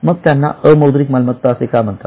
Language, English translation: Marathi, Then why do you call them non monetary